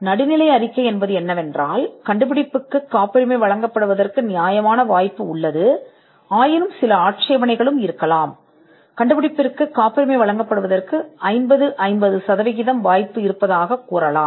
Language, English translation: Tamil, The neutral report is where there is a fair chance that the invention can be granted, they could also be some objections to it where it is a you could say a 50 50 percent chance of the invention getting granted